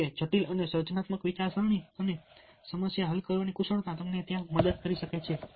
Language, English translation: Gujarati, however, critical and creative thinking and problem solving skills can help you there